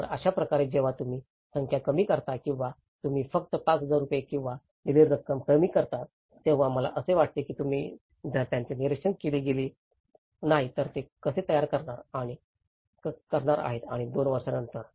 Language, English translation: Marathi, So, that is how, when you narrow down to numericals or you narrow down only to the 5000 rupees or a particular amount to be given, I think if you donít monitor it, how they are going to build up and after two years this is the case